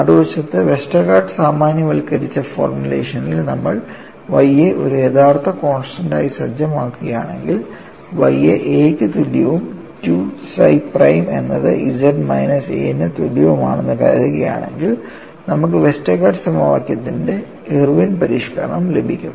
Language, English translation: Malayalam, On the other hand, in the Westergaard generalized formulation, if you set Y as a real constant, assuming Y equal to A and 2 psi prime equal to Z minus A, you get the Irwin's modification of Westergaard equation